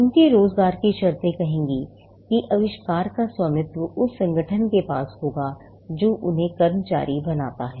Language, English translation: Hindi, The terms of their employment will say that the invention shall be owned by the organization which employees them